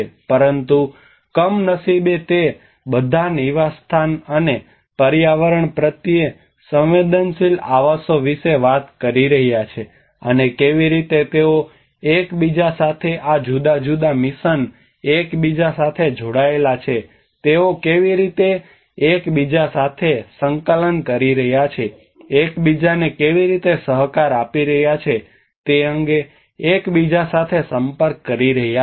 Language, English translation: Gujarati, But unfortunately they are all talking about habitat and Eco sensitive habitats and how they are interrelating how these different missions are interrelated to each other, how they are coordinating with each other, how they are cooperating with each other